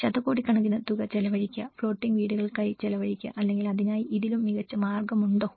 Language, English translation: Malayalam, Spending billions of amount of, spending on floating houses or is there any better ways to do it